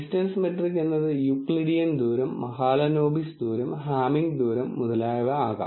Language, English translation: Malayalam, The distance metric could be Euclidean distance, Mahalanabis distance, Hamming distance and so on